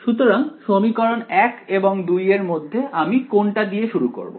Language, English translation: Bengali, So, of equation 1 and 2 what do I begin with